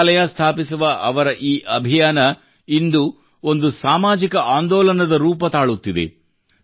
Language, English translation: Kannada, His mission to open a library is taking the form of a social movement today